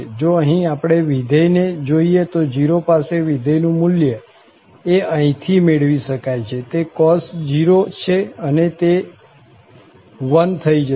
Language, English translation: Gujarati, However, if we note here the function, the function value at 0 can be evaluated from here, that is cos 0 and that is going to be 1